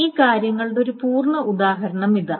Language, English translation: Malayalam, So, here is a complete example of this thing